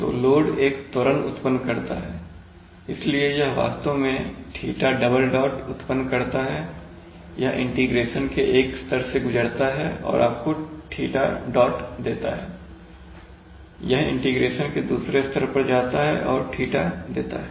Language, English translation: Hindi, So load, this creates an acceleration, so, you, it creates actually theta double dot, this goes through one level of integration and gives you theta dot, this goes to another level of integration and gives theta